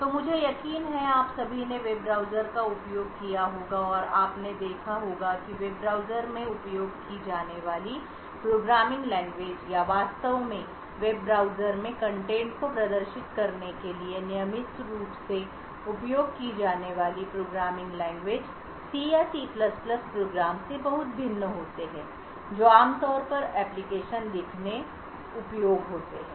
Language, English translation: Hindi, So all of you I am sure must have used a web browsers and what you would have noticed that programming languages used in web browsers or to actually display contents in web browsers are very much different from the regular C or C++ type of programs that are typically used to write applications